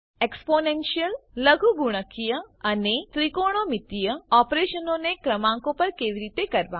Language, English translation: Gujarati, How to Perform exponential, logarithmic and trigonometric operations on numbers